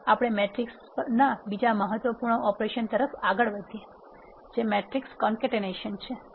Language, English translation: Gujarati, Next we move on to another important operation on matrices which is matrix concatenation